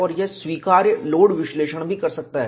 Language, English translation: Hindi, In addition to this, it also provides allowable load analysis